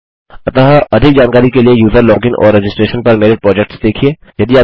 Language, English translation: Hindi, So check my projects on user login and registration for more information